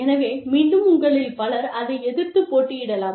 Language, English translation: Tamil, So, and again, many of you, might contest that